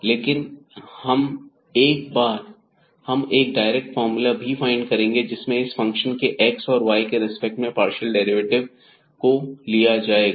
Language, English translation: Hindi, But, we will find a direct formula which will use the partial derivatives of this function f which is a function of 2 variables x and y